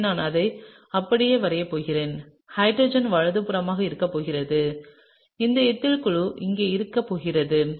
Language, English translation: Tamil, So, I am just going to draw it like this and the hydrogen is going to be on the right and this ethyl group is going to be here